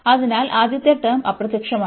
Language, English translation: Malayalam, So, first term will vanish